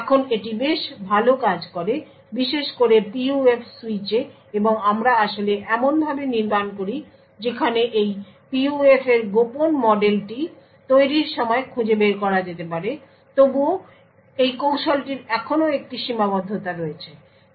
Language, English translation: Bengali, Now this works quite well, especially on PUF switch and we actually modelling such a way where the secret model of this PUF can be extracted at the manufactured time but nevertheless this technique still has a limitation